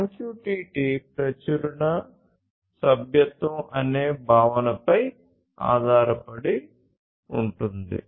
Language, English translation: Telugu, MQTT is based on the concept of Publish/Subscribe